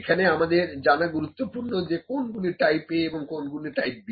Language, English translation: Bengali, So, it is important to know what are the type A and type B